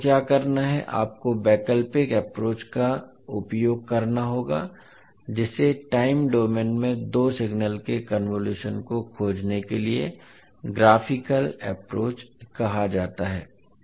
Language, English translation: Hindi, So what you have to do, you have to use the alternate approach that is called the graphical approach to find the convolution of two signal in time domain